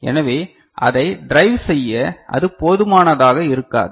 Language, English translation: Tamil, So, that will not be enough to drive it on